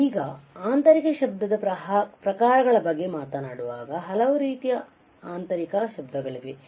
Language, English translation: Kannada, Now, when we talk about types of internal noise, then there are several type of internal noise